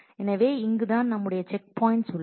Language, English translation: Tamil, So, this is where and this is where our checkpoint is